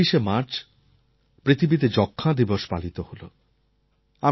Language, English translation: Bengali, On March 24th, the world observed Tuberculosis Day